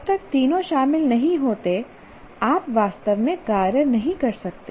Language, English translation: Hindi, Unless all the three are involved, you cannot actually act